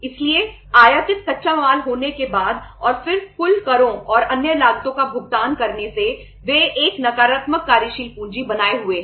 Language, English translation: Hindi, So after having the imported raw material and then paying the total taxes and other costs they are maintaining a negative working capital